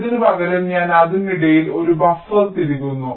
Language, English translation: Malayalam, instead of this, i insert a buffer in between